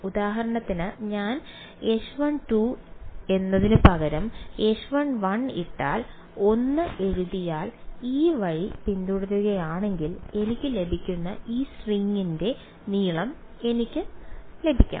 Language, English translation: Malayalam, For example, if I put H 1 instead of H 1 2 I write 1 I should get the length of this string which I will get if I follow this recipe